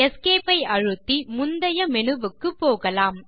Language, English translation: Tamil, Let us now press Esc to return to the previous menu